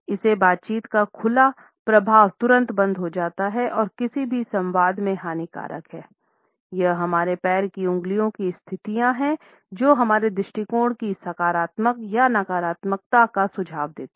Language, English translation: Hindi, It immediately stops, the open flow of conversation and is detrimental in any dialogue; it is the position of our toes which suggest a positivity or negativity of our attitude